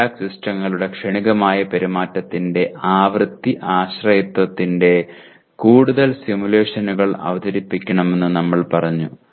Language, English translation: Malayalam, We said present more simulations of frequency dependence of transient behavior of feedback systems